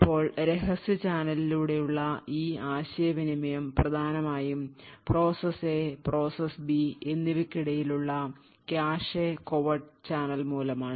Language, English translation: Malayalam, Now this communication through the covert channel is essentially due to the shared cache memory that is present between the process A and process B